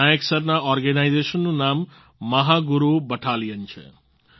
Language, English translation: Gujarati, The name of the organization of Nayak Sir is Mahaguru Battalion